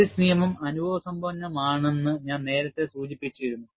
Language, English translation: Malayalam, You know, I had already mentioned, that Paris law is an empirical relation